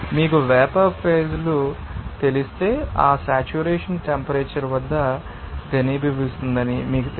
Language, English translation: Telugu, If you know vapor phases, you know that tries to you know be condense it at that saturated temperature